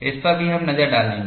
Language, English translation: Hindi, We will also have a look at it